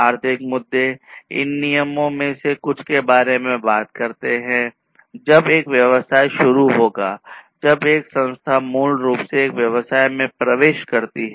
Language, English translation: Hindi, So, economic issues basically talks about some of these regulations, when a business will enter, when an institution basically enters a business